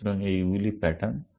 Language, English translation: Bengali, So, these are the patterns